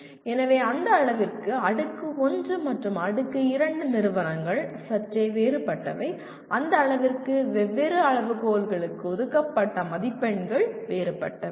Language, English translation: Tamil, So to that extent Tier 1 and Tier 2 institutions are somewhat different and to that extent the marks that are allocated to different criteria, they are different